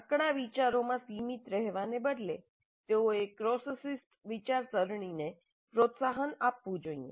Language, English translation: Gujarati, Instead of being confined to narrow silos, they must encourage cross discipline thinking